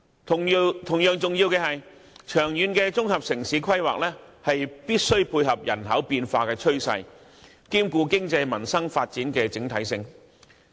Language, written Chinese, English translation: Cantonese, 同樣重要的是，長遠的綜合城市規劃必須配合人口變化的趨勢，兼顧經濟、民生發展的整體性。, An equally important point is that long - term integrated urban planning must also cater for the trends of demographic change as well as the overall picture of economic and social development